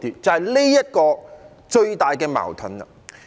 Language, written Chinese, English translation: Cantonese, 這個就是最大的矛盾。, This is the biggest conflict